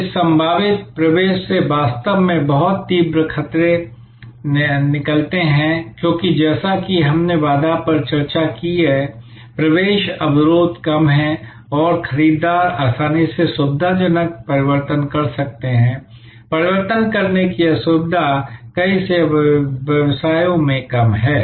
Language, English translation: Hindi, The really very intense threats emanate from this potential entrance, because as we discussed the barrier, entry barrier is low and buyers can easily switch the convenient, inconvenience of switching is rather low in many, many service businesses